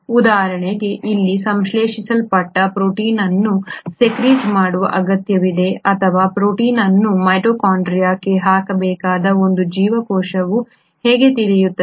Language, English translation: Kannada, For example how will a cell know that a protein which is synthesised here needs to be secreted or a protein needs to be put into the mitochondria